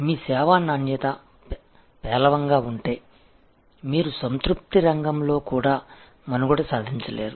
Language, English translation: Telugu, If your service quality is poor, then you do not even get to play in the satisfaction arena